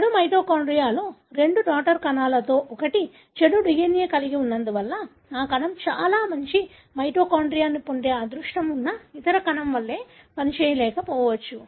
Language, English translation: Telugu, It so happened that one of the two daughter cells inherited most of the bad mitochondria, having bad DNA, that cell may not function as good as the other cell which is lucky enough to get most of the good mitochondria